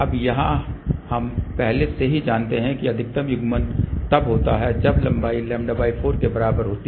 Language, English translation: Hindi, Now, here we know already that maximum coupling takes place when the length is equal to lambda by 4